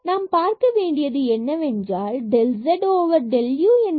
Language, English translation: Tamil, So, we need to see what is this 1 here del z over del u